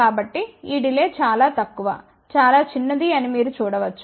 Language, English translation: Telugu, So, you can see that this delay is relatively very, very small